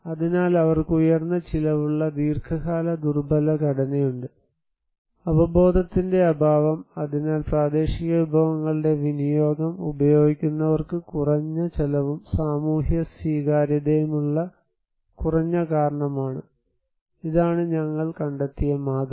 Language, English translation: Malayalam, Therefore, they have high cost long time vulnerable structure, lack of awareness and so it is creating that lesser cause that those who use utilization of local resources, they have less cost, short time socially acceptable that was the model we found